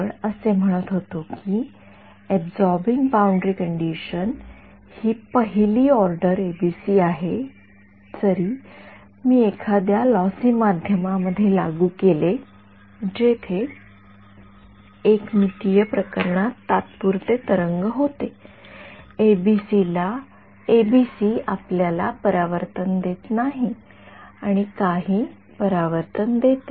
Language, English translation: Marathi, We were saying that absorbing boundary condition the first order ABC even if I have, if I implement it in a lossy medium where there are evanescent waves even in a 1D case the ABC does not gives you a reflection and gives some reflection